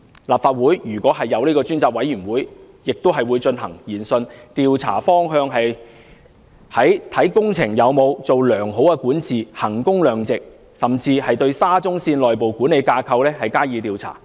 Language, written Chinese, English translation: Cantonese, 立法會如果成立專責委員會，亦會進行研訊，調查方向集中在工程有否良好管治、衡工量值，甚至對沙中線的內部管理架構加以調查。, When the select committee of the Legislative Council conducts its inquiry it will focus on whether there is good governance and value for money in the works projects . The investigation will even cover the internal management structure of SCL